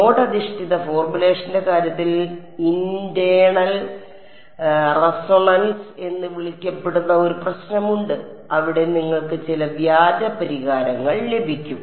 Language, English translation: Malayalam, There is problem called internal resonances which happens in the case of node based formulation, where you get some spurious solutions